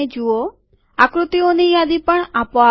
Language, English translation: Gujarati, List of figures also comes automatically